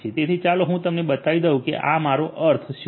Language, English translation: Gujarati, So, let me just show you what I mean by this